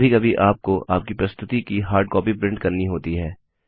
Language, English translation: Hindi, There are times when you would need to print hard copies of your presentation